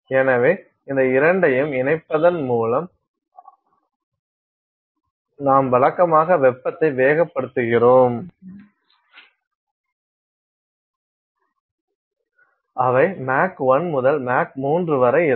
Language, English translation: Tamil, So, taking these two into combination you are heating usually heating velocities which are Mach 1 to Mach 3